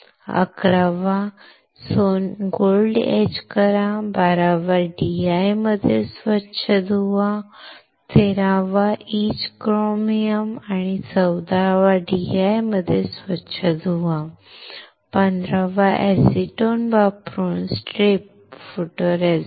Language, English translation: Marathi, Eleventh, etch gold; Twelfth, rinse in DI; Thirteenth, etch chromium; Fourteenth, rinse in DI; Fifteenth, strip photoresist using acetone